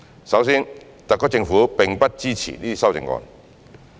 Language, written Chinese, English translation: Cantonese, 首先，特區政府並不支持這些修正案。, First of all the SAR Government does not support these amendments